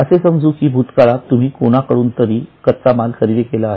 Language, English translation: Marathi, So, in the past, suppose we have purchased raw material from somebody